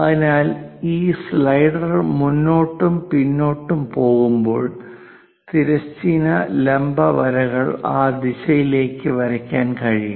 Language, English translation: Malayalam, So, these slider goes front and back, so that this horizontal, vertical lines can be drawn in that direction on the table